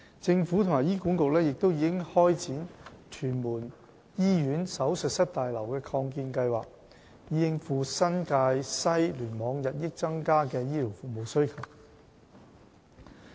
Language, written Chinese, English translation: Cantonese, 政府和醫管局亦已開展屯門醫院手術室大樓的擴建計劃，以應付新界西聯網日益增加的醫療服務需求。, The Government and HA have also commenced the project on extension of the Operating Theatre Block for Tuen Mun Hospital to meet the rising demand for health care services of the NTW Cluster